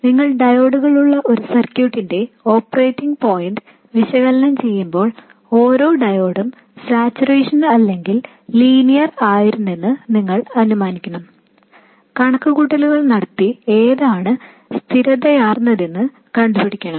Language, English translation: Malayalam, So when you are analyzing the operating point of a circuit with diodes, you have to assume that each diode was either in saturation or linear and work out the calculations and see which is consistent